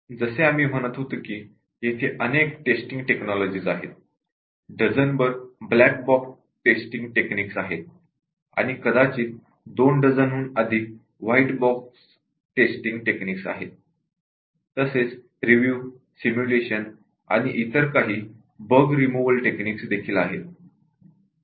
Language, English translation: Marathi, As we were saying that there are many testing techniques, there are a dozen black bugs testing and may be more than two dozen white box testing techniques, and also there other bug removal techniques like, review, simulation and so on